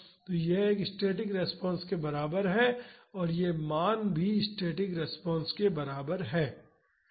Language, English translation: Hindi, So, this is equivalent to a static response and it is also the value is also equal to the static response